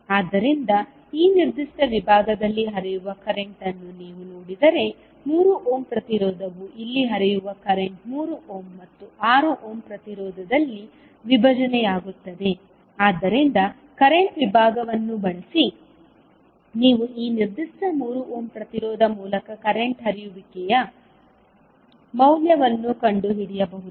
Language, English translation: Kannada, So, if you see the current flowing in this particular segment that is 3 ohm resistance will be the current which is flowing here will be divided in 3 ohm and 6 ohm resistance so using current division you can find out what is the value of current flowing in the through this particular 3 ohm the resistance